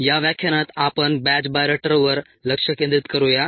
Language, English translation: Marathi, in this lecture let us focus on the batch bioreactor